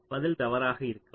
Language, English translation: Tamil, so the answer might be wrong